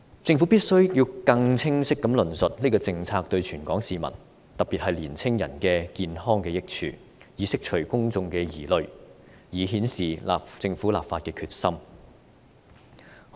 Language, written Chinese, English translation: Cantonese, 政府必須更清晰地論述這項政策對全港市民的健康的益處，以釋除公眾疑慮，顯示政府立法的決心。, The Government has to elaborate more clearly on the benefits of this policy to the health of Hong Kong people at large particularly young people in order to address public concerns and show its determination to enact legislation